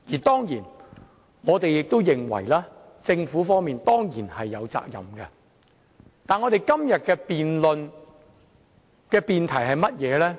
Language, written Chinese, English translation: Cantonese, 當然，我們亦認為政府是有責任的，但今天的辯論主題是甚麼呢？, We of course also think that the Government is responsible for the incident but we must also consider it in relation to the subject of this debate today